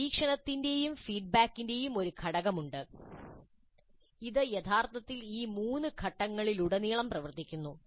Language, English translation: Malayalam, Then there is also a component of monitoring and feedback which actually works throughout all these three phases